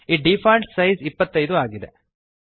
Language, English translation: Kannada, The default size is 25